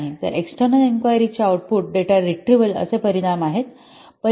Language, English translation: Marathi, So an external inquiry is an output that results in data retrieval